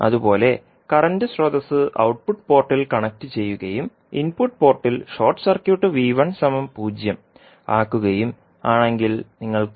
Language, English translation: Malayalam, Similarly, if you connect current source at the output port and the short circuit the input port so V 1 will become 0 now